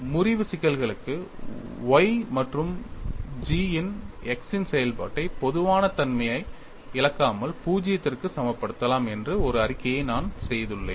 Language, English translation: Tamil, And I made a statement, that for fracture problems function of y and g of x can be equated to zero without losing generality that makes our life simple